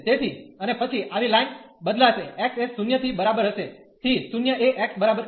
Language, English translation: Gujarati, So, and then such lines will vary from x is equal to 0 to x is equal to 1